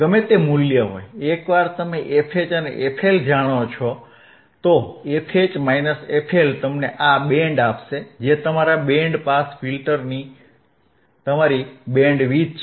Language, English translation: Gujarati, wWhatever the value is there, once you know f H once you knowand f L, if f H minus f L will give you this band which is your bandwidth and that is your bandwidth of your band pass filter